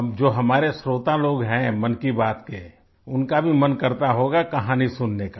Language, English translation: Hindi, Now our audience of Mann Ki Baat… they too must be wanting to hear a story